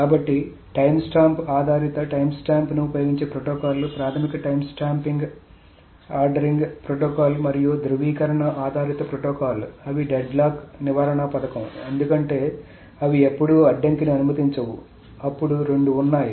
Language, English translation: Telugu, So the timestamp based the protocols that use the timestamp, the basic time stamp ordering protocol and the validation based protocol, they are, we have seen that these are deadlock prevention schemes because they never allowed deadlock